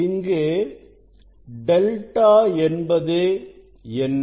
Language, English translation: Tamil, what is delta